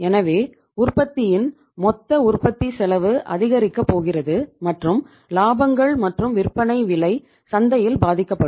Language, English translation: Tamil, So total cost of production of the product is going to increase and the margins as well as the selling price will be affected in the market